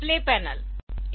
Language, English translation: Hindi, So, these are display panel